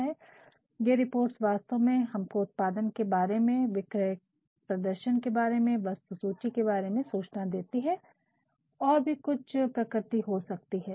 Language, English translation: Hindi, And, these reports actually, they provide us informationregarding production, sales performance, inventory and of some other nature also